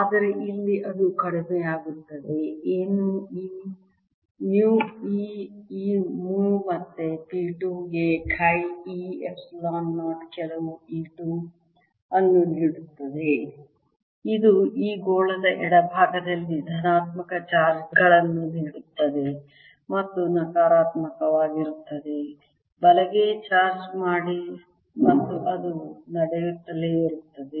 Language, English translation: Kannada, this mu again will give rise to a p two which is chi e, epsilon zero, some e two, which in turn will give me positive charges on the left hand side of this sphere and negative charge on the right hand side, and so on